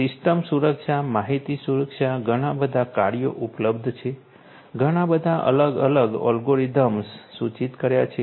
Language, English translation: Gujarati, System security, information security; lot of works are available, lot of different algorithms have been proposed